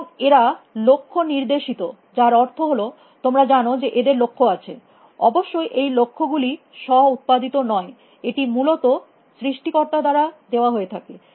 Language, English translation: Bengali, And they are goal directed which means that you know they have goals; of course, these goals may not be self generated; they could be given by the creator essentially